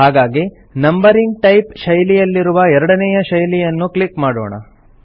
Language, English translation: Kannada, So let us click on the second style under the Numbering type style